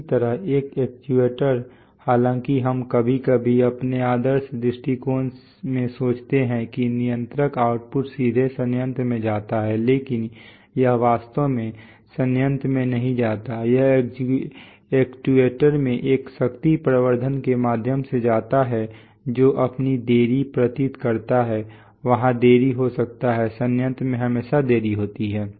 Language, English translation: Hindi, Similarly an actuator though we sometimes in our idealized view we sometimes think that the controller output directly goes to the plant, but it actually does not go to the plant, it goes through a power amplification in the actuator which induces its own delay, there could be delays in, there are always delays in the plant